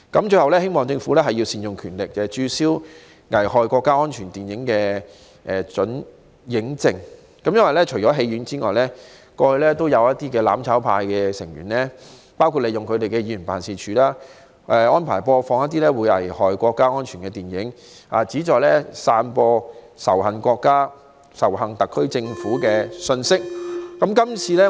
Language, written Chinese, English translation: Cantonese, 最後，我希望政府能善用權力，註銷危害國家安全電影的准映證，因為除戲院外，過去也有"攬炒派"議員利用其辦事處播放危害國家安全的電影，旨在散播仇恨國家、仇恨特區政府的信息。, Lastly I hope the Government would appropriately exercise its power and revoke certificates of approval for exhibition of the films that endanger national security because apart from screening them in cinemas former Members of the mutual destruction camp have also used their offices to broadcast such films thereby disseminating messages inciting hatred against the country and the SAR Government